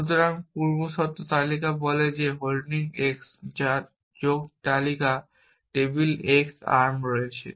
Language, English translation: Bengali, So, precondition list says holding x whose add list contains on table x arm empty